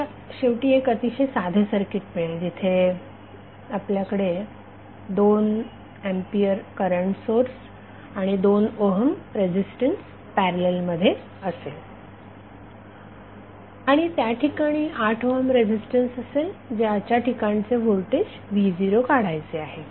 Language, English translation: Marathi, So when transform you get finally very simple circuit where you have 2 ampere current source and 2 ohm resistance in parallel and 8 ohm resistance across which we have to find out the voltage V Naught so, just simply use current division we will get current across 8 ohm resistance as 0